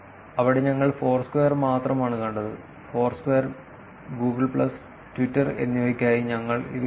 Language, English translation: Malayalam, There we saw only for Foursquare; here we are seeing it for Foursquare, Google plus and Twitter